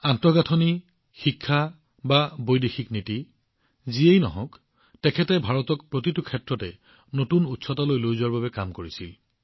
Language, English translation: Assamese, Be it infrastructure, education or foreign policy, he strove to take India to new heights in every field